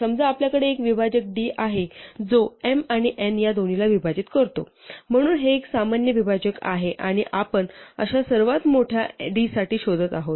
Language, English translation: Marathi, Suppose we have a divisor d which divides both m and n, so this is a common divisor and we are looking for the largest such d